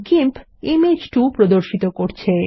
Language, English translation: Bengali, Image 2 opens in GIMP